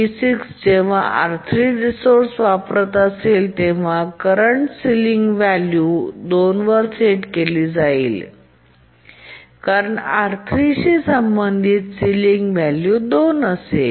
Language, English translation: Marathi, When T6 is using the resource R3, then the current system sealing will be set to 2 because the sealing value associated with R3 is 2